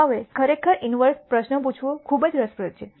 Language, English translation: Gujarati, Now it is very interesting to actually ask the inverse question